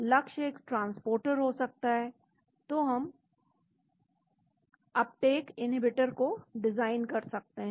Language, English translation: Hindi, The target could be a transporter so we can design uptake inhibitors